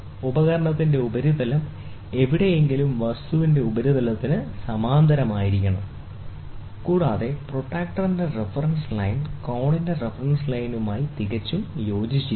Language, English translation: Malayalam, The surface of the instrument, wherever displace should be parallel to the surface of the object, and the reference line of the protractor should coincide perfectly with the reference line of the angle